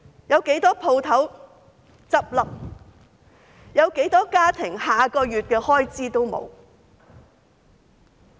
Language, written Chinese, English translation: Cantonese, 有多少個家庭連下個月的開支都沒有？, How many families do not even have money to last until the next month?